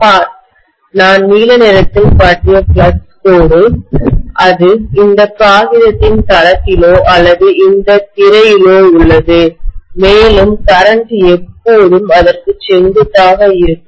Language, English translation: Tamil, See, the flux line what I have shown in blue, that is along the plane of this paper or this screen itself and the current will always be perpendicular to that